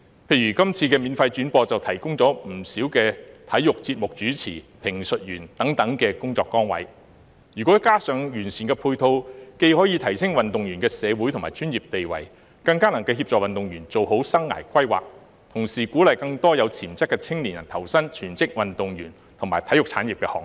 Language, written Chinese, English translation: Cantonese, 例如今次免費轉播，就提供了不少體育節目主持、評述員等工作崗位，如果加上完善的配套，既可以提升運動員的社會和專業地位，更能協助運動員做好生涯規劃，同時鼓勵更多有潛質的青年人投身全職運動員和體育產業的行列。, Taking the free telecast of the Games as an example many job opportunities have been created for sports hosts commentators etc . If complemented by sound supporting measures it will not only enhance the social and professional status of athletes but also help athletes plan their careers properly and encourage more young people with potential to join the ranks of full - time athletes and the sports industry